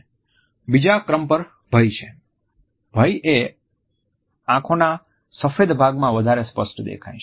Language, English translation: Gujarati, Number 2, fear; for fear more of the whites of the eyes will be shown